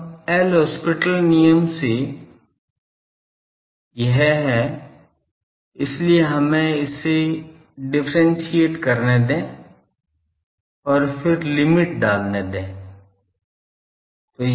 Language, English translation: Hindi, Now so, that is a L Hospital rule so, we will have to differentiate these and then put the limit